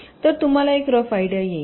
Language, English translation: Marathi, you will get a very rough idea